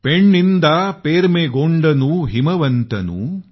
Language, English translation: Marathi, Penninda permegondanu himavantanu